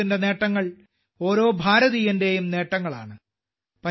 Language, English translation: Malayalam, India's achievements are the achievements of every Indian